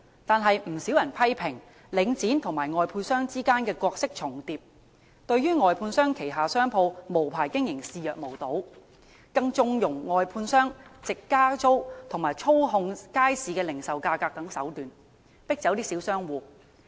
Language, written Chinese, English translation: Cantonese, 但不少人批評，領展與外判商之間的角色重疊，對外判商旗下商鋪無牌經營視若無睹，更縱容外判商藉加租及操控街市零售價格等手段，迫走小商戶。, But quite a number of people have criticized the duplication of role between Link REIT and contractors . It has turned a blind eye to unlicensed commercial operation on premises under contractors and condoned them to drive away small traders by such tactics as raising rentals and manipulating market retail prices